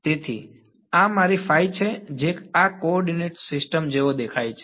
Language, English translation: Gujarati, So, this is my phi hat that is what this coordinate system looks like that